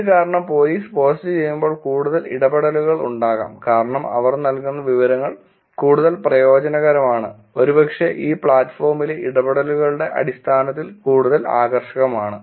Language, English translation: Malayalam, This probably is because when the police does the post there is much more interactions because the information that they are giving is probably more useful, probably more engaging in terms of actually the interactions on this platform